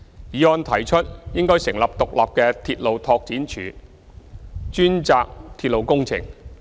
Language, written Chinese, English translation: Cantonese, 議案提出應成立獨立的鐵路拓展署，專責鐵路工程。, The motion proposes to set up an independent railway development department dedicated to railway works